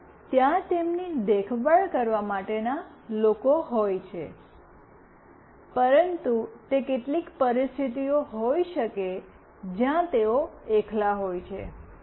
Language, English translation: Gujarati, Even if there are people to look after them, but might be in certain situations, we find them all alone